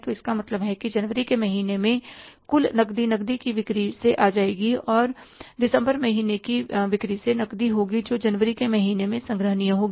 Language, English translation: Hindi, So it means the total cash will come in the month of January will be cash from the cash sales and the cash from the December month sales which will be collectible in the month of January